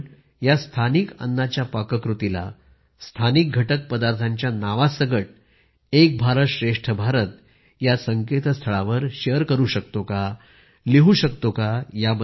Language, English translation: Marathi, Can we share the recipe of these local foods along with the names of the local ingredients, on the 'Ek Bharat Shrestha Bharat' website